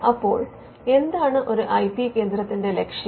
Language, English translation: Malayalam, Now, what is the objective of an IP centre